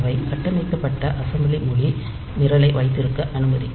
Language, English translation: Tamil, they will allow us to have structured assembly language program